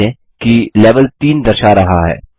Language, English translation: Hindi, Notice, that the Level displays 3